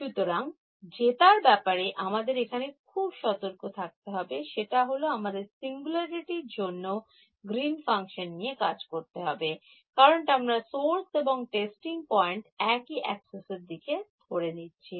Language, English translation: Bengali, So, the only thing to be careful about here is that, we will have to work out the Green's function with the singularity because I am choosing the source and testing points to be up along the same axis